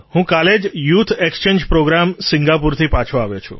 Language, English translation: Gujarati, Sir, I came back from the youth Exchange Programme,